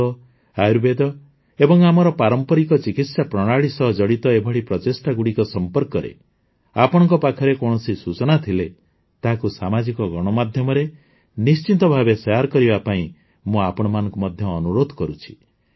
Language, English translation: Odia, I also urge you that if you have any information about such efforts related to Yoga, Ayurveda and our traditional treatment methods, then do share them on social media